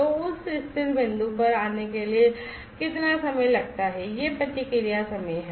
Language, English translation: Hindi, So, how much is the time taken to come to that stable point, that is the response time